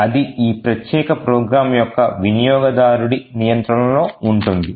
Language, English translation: Telugu, So, it is in control of the user of this particular program